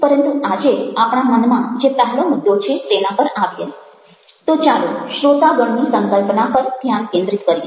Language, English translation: Gujarati, but coming to the first point that we have in mind today, let's focus on the concept of audience